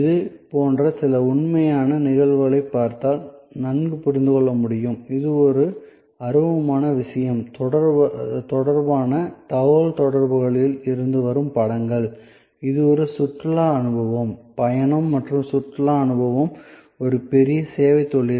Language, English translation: Tamil, So, it is be well understood if we look at some actual cases, like these are images from communications relating to a quite an intangible thing, which is a tourism experience, travel and tourism experience, a big service industry